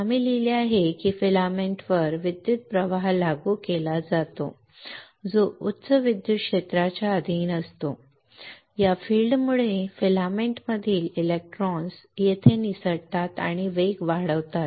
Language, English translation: Marathi, We have written that an electric current is applied to the filament which is subjected to high electric field, this field causes electrons in the filament to escape here and accelerate away